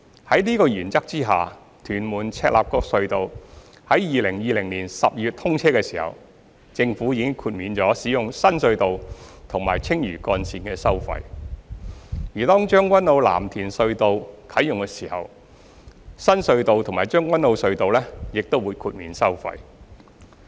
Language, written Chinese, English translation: Cantonese, 在此原則下，屯門―赤鱲角隧道在2020年12月通車時，政府已豁免使用新隧道和青嶼幹線的收費；而當將軍澳―藍田隧道啟用時，新隧道和將軍澳隧道亦會豁免收費。, Under this principle when the Tuen Mun - Chek Lap Kok Tunnel was commissioned in December 2020 the Government waived the tolls of this new tunnel and the Lantau Link and upon the commissioning of Tseung Kwan O - Lam Tin Tunnel there will also be toll wavier for the new tunnel and the Tseung Kwan O Tunnel